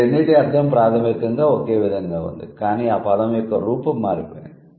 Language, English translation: Telugu, So, the meaning basically remains same, but then the form of the word had changed